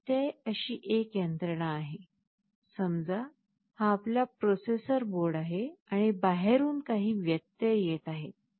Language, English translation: Marathi, Interrupt is a mechanism like this; suppose, this is our processor board and from outside some interrupt is coming